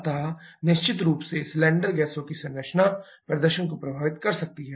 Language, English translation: Hindi, So, composition of cylinder gases definitely can affect the performance